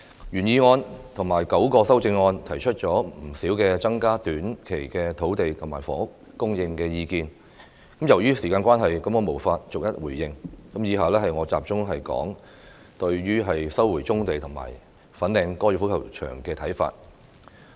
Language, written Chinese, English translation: Cantonese, 原議案及9項修正案提出了不少增加短期土地和房屋供應的意見，由於時間關係，我無法逐一回應，以下我會集中表述對於收回棕地及粉嶺高爾夫球場的看法。, The original motion and the nine amendments put forward many proposals to increase land and housing supply in the short term . Due to time constraints I cannot respond to them one by one . Here I will focus on my views on the resumption of brownfield sites and the Fanling Golf Course